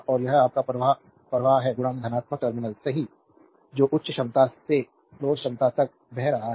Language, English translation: Hindi, And it is your current is flow entering into the positive terminal, right that is flowing from higher potential to lower potential